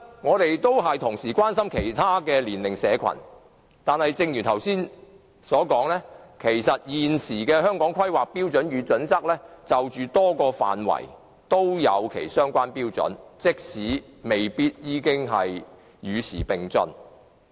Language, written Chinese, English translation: Cantonese, 我們也關心其他年齡社群，但正如我剛才所說，現時的《規劃標準》就多個範圍訂立相關標準，雖然未必能夠與時並進。, We are also concerned about other age groups but as I have just said the present HKPSG has set standards for a range of areas though such standards may not keep abreast of the times